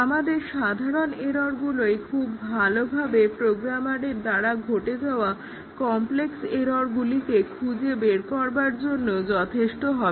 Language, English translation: Bengali, Our simple errors which we introduce would be good enough to catch even the complex errors that a program programmer can commit